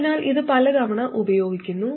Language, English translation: Malayalam, So, this is used many times